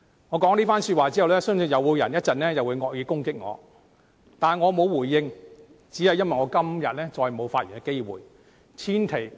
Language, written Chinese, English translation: Cantonese, 我說了這番說話後，相信稍後又會有人惡意攻擊我，但我不會回應，只因為我今天再沒有發言的機會。, I believe that after I have made these remarks some Members may level malicious criticisms at me later on . But I will not give any reply solely because I do not have another opportunity to speak again today